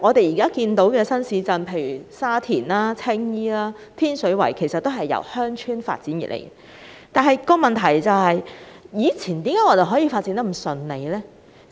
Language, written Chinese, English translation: Cantonese, 現有新市鎮如沙田、青衣和天水圍，其實均由鄉村發展而成，問題是為何以前在進行發展時可以如此順利？, In fact many existing new towns like Sha Tin Tsing Yi and Tin Shui Wai have been evolved from rural villages but the question is How come the development process could be so smooth in the past?